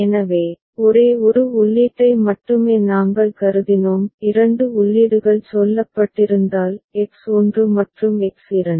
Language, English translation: Tamil, So, there we considered only one input right; had there been say two inputs; X1 and X2